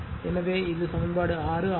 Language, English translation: Tamil, So, this is equation6right